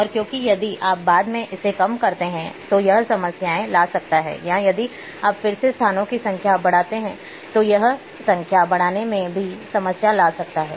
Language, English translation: Hindi, And because if you reduce later on it may bring some problems or if you increase the number of places again it might bring problem